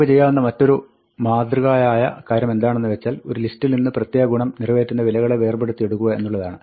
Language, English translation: Malayalam, Another thing that we typically want to do is to take a list and extract values that satisfy a certain property